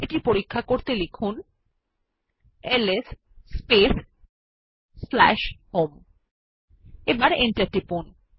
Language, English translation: Bengali, Check this by typing ls space /home and press the Enter